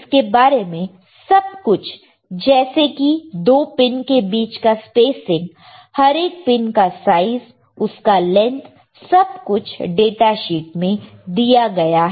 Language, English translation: Hindi, Everything is given everything is given you see this spacing between 2 pins size of each pin right the length everything is given in the data sheet